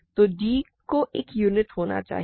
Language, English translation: Hindi, So, d must be a unit